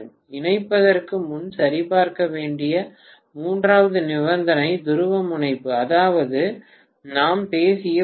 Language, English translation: Tamil, Right The third condition that needs to be checked before connecting is the polarity, that is dot we talked about